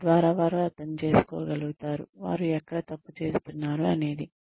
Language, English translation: Telugu, So that they are able to understand, where they are going wrong